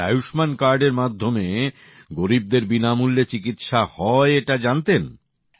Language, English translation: Bengali, And there is free treatment for the poor with Ayushman card